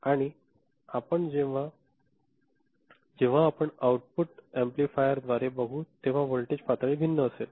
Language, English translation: Marathi, And when you pass it through a amplifier at the output the voltage level will be different